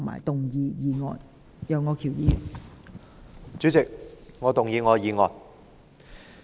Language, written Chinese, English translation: Cantonese, 代理主席，我動議我的議案。, Deputy President I move my motion